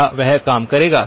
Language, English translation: Hindi, Will that work